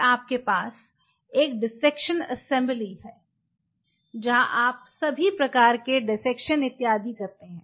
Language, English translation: Hindi, Then you have a dissection assembly where you do all sorts of dissection and everything